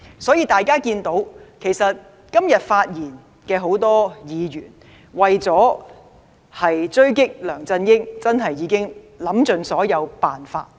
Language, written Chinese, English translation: Cantonese, 所以，大家看到很多今天發言的議員，為了追擊梁振英已想了很多辦法，但其結果如何？, Therefore we can see that many Members who have spoken today have tried every possible means to attack LEUNG Chun - ying but what have they achieved?